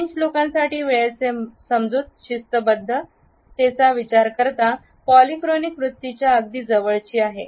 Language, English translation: Marathi, The understanding of the French, as far as the punctuality is concerned, is also closer to a polychronic attitude